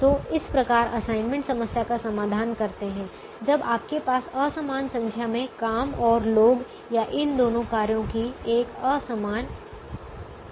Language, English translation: Hindi, so this is how you solve an assignment problem when you have an unequal number of jobs and people, or an unequal number of both these tasks